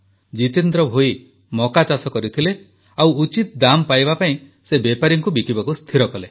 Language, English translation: Odia, Jitendra Bhoiji had sown corn and decided to sell his produce to traders for a right price